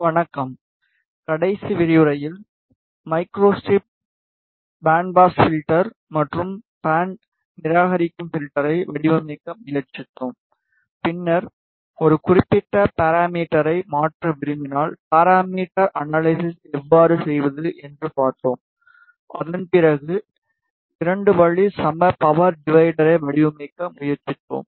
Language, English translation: Tamil, Hello in the last lecture we tried to design Microstrip Bandpass filter and band reject filter then we saw how to do the parametric analysis, if we want to change a particular parameter, after that we tried to design a 2 way equal power divider